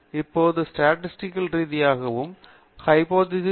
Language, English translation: Tamil, Now, statistically thatÕs a hypothesis test